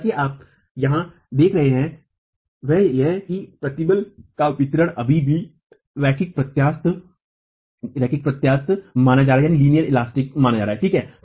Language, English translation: Hindi, However, what you see here is that the distribution of stresses is still considered to be linear elastic